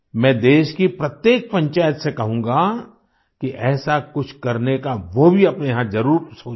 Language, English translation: Hindi, I appeal that every panchayat of the country should also think of doing something like this in their respective villages